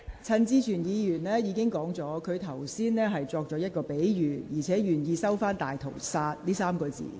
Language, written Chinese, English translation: Cantonese, 陳志全議員已表示，他剛才用的是比喻，並願意收回"大屠殺"一詞。, Mr CHAN Chi - chuen says that he was using a metaphor earlier and is willing to withdraw the word Holocaust